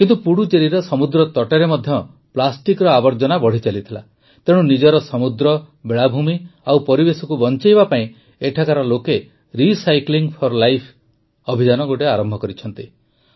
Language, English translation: Odia, But, the pollution caused by plastic was also increasing on the sea coast of Puducherry, therefore, to save its sea, beaches and ecology, people here have started the 'Recycling for Life' campaign